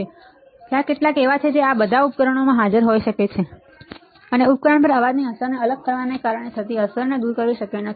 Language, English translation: Gujarati, So, there are some there all this noise may be present in the system, and it may not be possible to remove the effect that is caused because separate the effect of the noise on the system